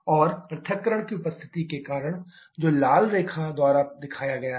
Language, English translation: Hindi, And because of the presence of dissociation that is shown by the red line